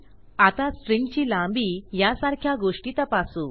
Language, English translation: Marathi, Okay so check things like string length